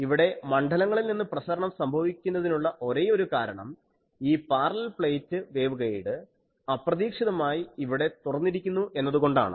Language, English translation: Malayalam, Only the fields radiate at these because here I have a that parallel plate waveguide suddenly has an opening